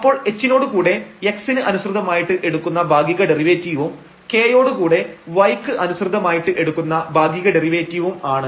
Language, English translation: Malayalam, So, we will get in the proof now what do we mean by this h, the partial derivative with respect to x plus k the partial derivative y and then whole square